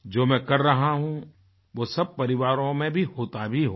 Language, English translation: Hindi, What I am doing must be happening in families as well